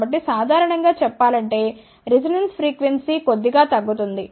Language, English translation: Telugu, So, because of that also generally speaking, resonance frequency decreases slightly